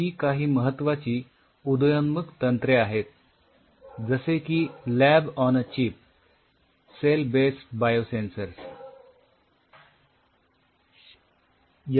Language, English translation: Marathi, These are some of the emerging technologies like you know lab on a chip cell based Biosensors